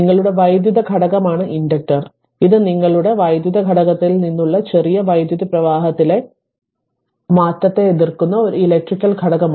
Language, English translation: Malayalam, An inductor is an electrical your electrical component right that that opposes any change in electrical current little bit you know about from your physics